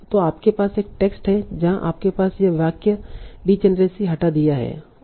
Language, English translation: Hindi, So you are having a text where you have this sentence D generacy is removed